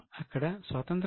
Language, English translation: Telugu, So, there was no independence